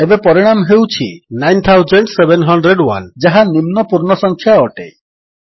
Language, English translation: Odia, The result is now 9701 which is the lower whole number